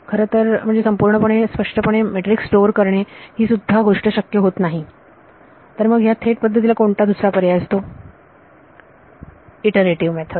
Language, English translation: Marathi, In fact, it may not be even the possible to store the matrix explicitly, then what is the alternative direct approach are iterative methods